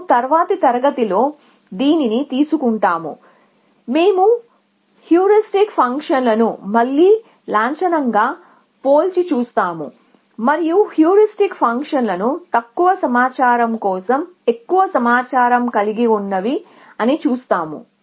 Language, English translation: Telugu, And we will take this up in the next class we will do a formal proof of this essentially after we do that we will compare heuristic functions again formally and show that heuristic functions are which are more informed they do lesser search